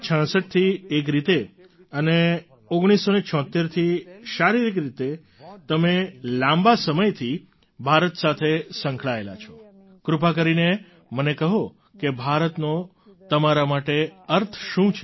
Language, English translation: Gujarati, Since 1966 in a way and from 1976 physically you have been associated with India for long, will you please tell me what does India mean to you